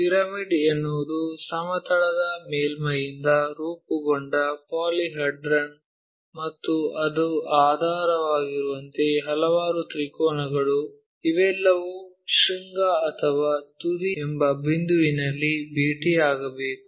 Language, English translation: Kannada, A pyramid is a polyhedra formed by plane surface as it is base and a number of triangles as it is side faces, all these should meet at a point called vertex or apex